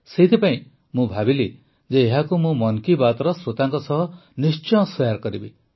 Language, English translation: Odia, That's why I thought that I must share it with the listeners of 'Mann Ki Baat'